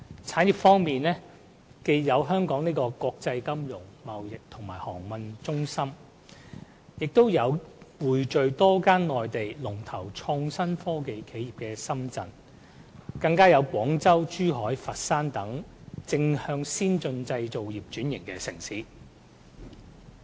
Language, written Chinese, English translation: Cantonese, 產業方面，既有香港這個國際金融、貿易和航運中心，也有匯聚多間內地創新科技龍頭企業的深圳，更有廣州、珠海、佛山等正在向先進製造業轉型的城市。, Speaking of industries we see that the Bay Area comprises Hong Kong a financial trade and shipping centre of the world; Shenzhen the home to many leading IT enterprises in the Mainland; and also others cities like Guangzhou Zhuhai and Foshan which are all transforming themselves into advanced manufacturing economies